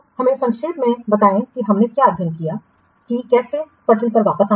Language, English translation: Hindi, So, now let's summarize what you have studied, how to get back on track